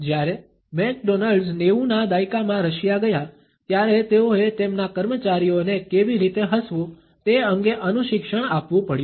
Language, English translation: Gujarati, When McDonald’s went to Russia in the nineties, they had to coach their employees on how to smile